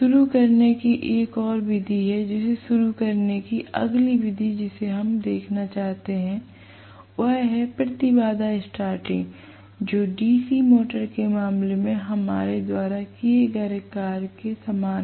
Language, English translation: Hindi, There is one more method of starting, the next method of starting that we would like to look at is impedance starting, which is very similar to what we did in the case of DC motor